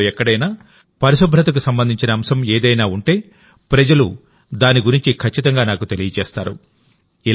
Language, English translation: Telugu, If something related to cleanliness takes place anywhere in the country people certainly inform me about it